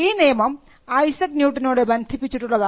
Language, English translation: Malayalam, Now, this is a code that is attributed to Isaac Newton